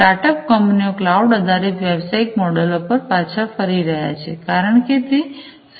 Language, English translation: Gujarati, Startup companies are also falling back on the cloud based business models, because that becomes cheaper, that becomes cheaper